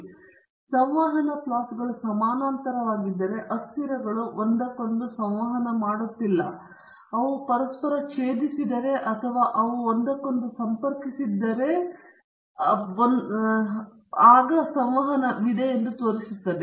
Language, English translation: Kannada, And if the interaction plots are parallel then the variables are not interacting with one another, but if they intersect or they approach one another or they diverge from each other, then it shows that there is an interaction